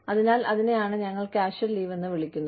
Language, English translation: Malayalam, So, that is what, we call as casual leave